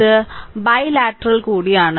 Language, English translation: Malayalam, So, it is also bilateral